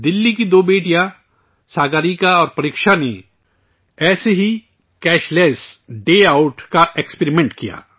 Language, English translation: Urdu, Two daughters of Delhi, Sagarika and Preksha, experimented with Cashless Day Outlike this